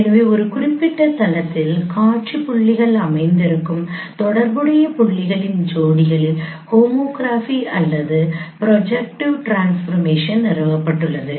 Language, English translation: Tamil, So the homography or the projective transformation those are established among the pair of corresponding points for which the seam points lie on a particular plane